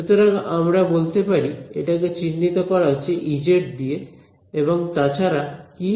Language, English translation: Bengali, So, we can say that this is characterized by E z and what else